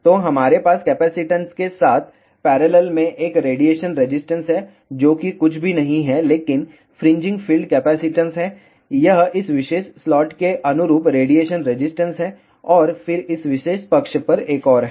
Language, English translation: Hindi, So, we have a radiation resistance in parallel with capacitance, which is nothing, but fringing field capacitance, this is the radiation resistance corresponding to this particular slot here, and then there is another one on this particular side